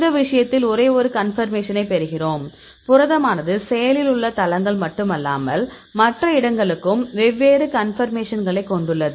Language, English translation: Tamil, In this case we get only one conformation; so, protein also have different conformation not only active sites, but other place also they have different conformations